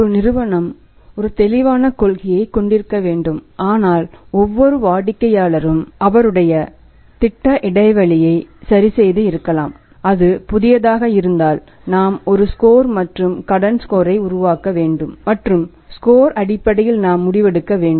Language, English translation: Tamil, Then there a possibility so firm has to have a clear cut policy but for every customer may be adjusting then on the project interval and if it is a new then we have to work out a score and credit score and on the basis of the score we will have to take decision